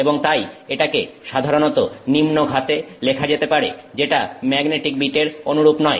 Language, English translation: Bengali, And so this can typically be written with lower power unlike magnetic bits